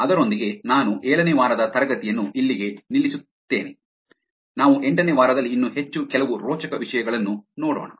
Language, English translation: Kannada, With that I stop actually the week 7; we will actually look at some more exciting topics in week 8